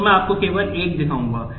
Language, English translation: Hindi, So, I will just show you one